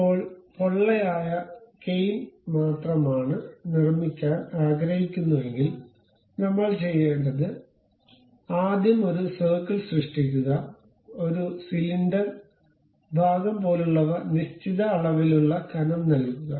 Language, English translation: Malayalam, Now, if I would like to really construct only hollow cane, what we have to do is, first create a circle give something like a cylindrical portion up to certain level of thickness